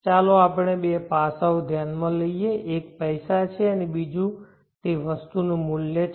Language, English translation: Gujarati, Let us consider the two aspects one is money and another is the value of the item